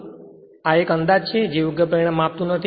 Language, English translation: Gujarati, So, this is one approximation it does not give correct result